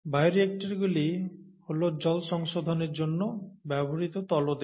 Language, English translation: Bengali, Bioreactors are the basal ones that are used for water treatment